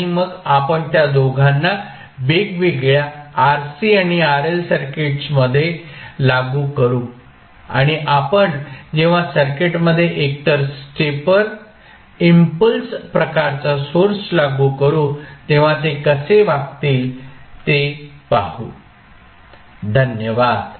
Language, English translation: Marathi, And then we will apply both of them into the various RC and RL circuits and see how they will behave when we will apply either stepper impulse type of sources into the circuit, Thank You